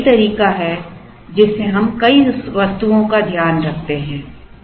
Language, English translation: Hindi, So, that is the way we take care of multiple items